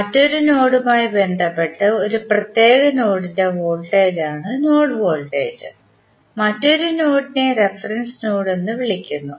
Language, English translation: Malayalam, Node voltage is the voltage of a particular node with respect to another node which is called as a reference node